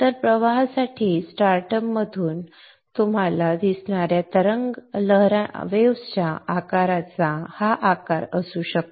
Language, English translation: Marathi, So this may be the shape of the wave shape you will see from start up from the for the currents